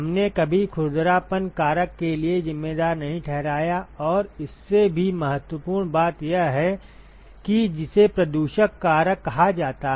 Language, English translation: Hindi, We never accounted for the roughness factor and also more importantly what is called the fouling factor